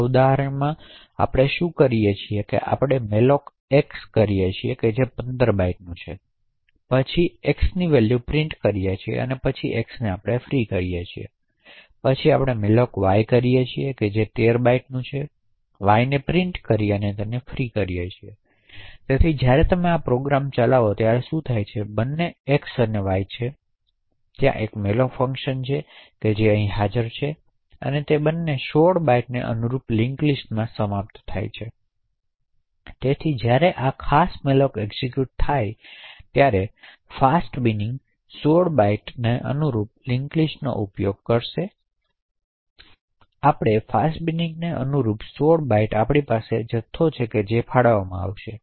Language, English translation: Gujarati, So in this example what we do is we malloc x which is of 15 bytes then print the value of x and then free x then v malloc y which is of 13 bytes print y and free y, so what happens when you execute this program is that both x as well as y, so there is a malloc function which gets applied and both of them would end up in the link list corresponding to this 16 bytes, so when this particular malloc gets executed totally a chunk of 16 bytes plus another 8 bytes gets allocated and the pointer to that memory is present in x, so when this free gets invoked the chunk gets added to the link list corresponding to the fast bin of 16 bytes